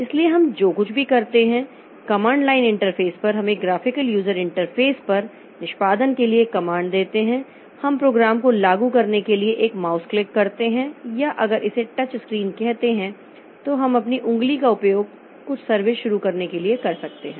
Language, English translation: Hindi, So, whatever we do, so on a command line interfaces, interface we give a command for execution, on a graphical user interface we give a mouse click for invoking the program or if it is say a touch screen so we can use our finger to start some service